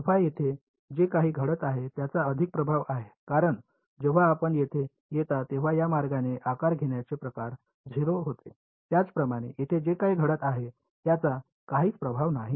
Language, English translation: Marathi, Whatever is happening at alpha has more influence on this because the way the shape function corresponding to this becomes 0 by the time you come over here, similarly whatever is happening over here has no influence on this